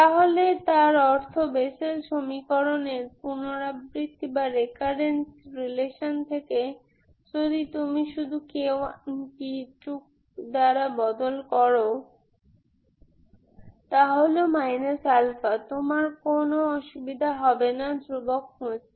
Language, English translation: Bengali, So that means from the recurrence relation of the Bessel equation, if you simply replace k 1, k by k 2, that is minus alpha, you don't have issues to find, you don't have problem to find the constants